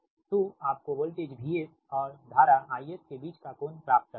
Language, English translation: Hindi, so you have to get the angle between voltage and current v